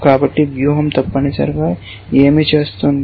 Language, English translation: Telugu, So, what is the strategy essentially doing